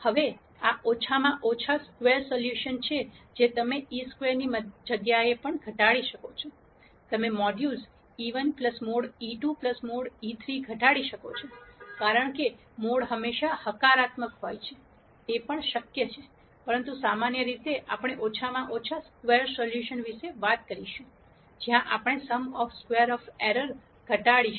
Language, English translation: Gujarati, Now, this is the least squares solution you could also minimize instead of e I squared, you can minimize modulus e 1 plus mod e 2 plus mod e 3, because mod is always positive; that is also possible, but in general we are going to talk about least square solution where we minimize this sum of squares of errors